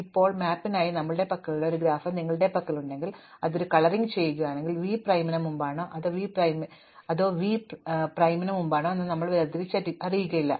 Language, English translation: Malayalam, Now, if you have a graph of the kind that we had for the map where we were coloring it, then we do not distinguish whether v is before v prime or v prime is before v